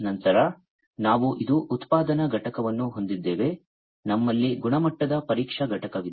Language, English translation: Kannada, Then we have this one is the production unit, we have the quality testing unit